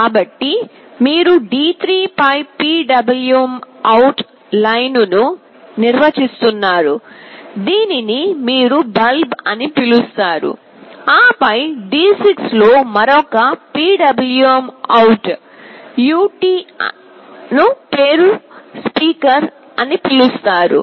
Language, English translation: Telugu, So, you are defining a PwmOut line on D3, which you call as “bulb”, then another PwmOut ut on D6, which you call “speaker”